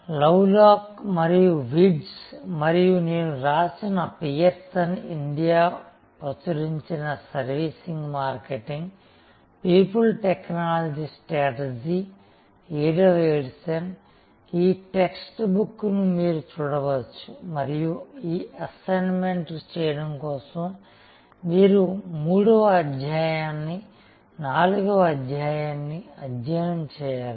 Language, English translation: Telugu, And in your text book, you can refer to this text book of by written by Lovelock and Wirtz and myself, services marketing, people technology strategy, 7'th edition, published by Pearson India and this assignment for this you should refer to chapter 3 and chapter 4